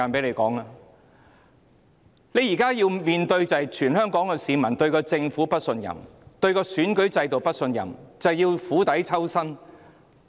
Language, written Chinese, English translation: Cantonese, 現在政府要面對全港市民對政府的不信任、對選舉制度的不信任，政府要釜底抽薪。, The Government has to face peoples distrust of it and of the electoral system . It has to take drastic measures to deal with the situation